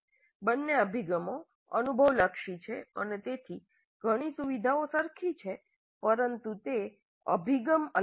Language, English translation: Gujarati, Both approaches are experience oriented and hence share several features but they are distinct approaches